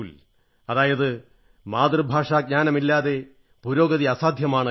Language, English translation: Malayalam, That means, no progress is possible without the knowledge of one's mother tongue